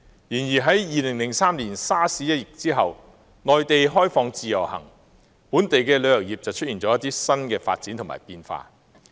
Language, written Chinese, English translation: Cantonese, 然而，在2003年沙士一役後，內地開放自由行，本地旅遊業便出現了一些新發展和變化。, Nevertheless in 2003 after SARS and the introduction of the Individual Visit Scheme IVS by the Mainland new developments and changes occurred in the local tourism industry